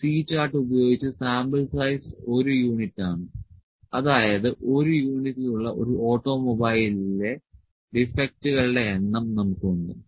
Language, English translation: Malayalam, With a C chart, the sample size is one unit that is we had the number of defects in an automobile in a in one unit